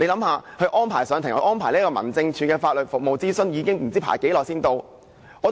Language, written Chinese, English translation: Cantonese, 試想想，安排上庭、安排民政事務處的法律服務諮詢不知要輪候多久。, Members can think about how long they have to wait during the process from DOs arrangement for legal consultation services to their court appearance